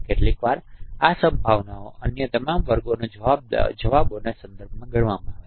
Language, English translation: Gujarati, Sometimes this probability is computed with respect to the responses of all other classes